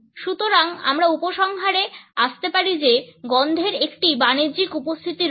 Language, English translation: Bengali, So, we can conclude that a smell has a commercial presence